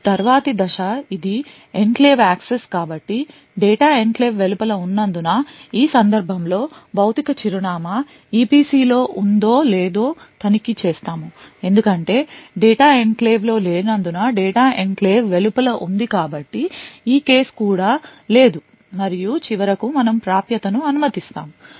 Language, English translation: Telugu, Now the next step is this a enclave access so since the data is outside the enclave so therefore no then we check whether the physical address is in the EPC in this case since the data is not in the enclave the data is outside the enclave therefore this case is too is also no and finally we allow the access